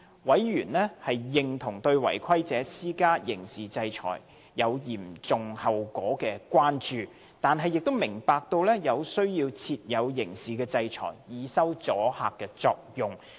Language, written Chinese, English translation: Cantonese, 委員認同對違規者施加刑事制裁有嚴重後果的關注，但亦明白有需要設有刑事制裁，以收阻嚇作用。, While members concur with the Former Bills Committees concern about the serious consequence for non - compliance they are also aware that criminal sanction is necessary in order to have sufficient deterrent effect